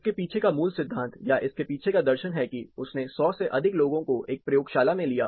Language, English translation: Hindi, The basic theory behind or the philosophy behind it is, you know he pulled in more than hundred people; he pulled them in a laboratory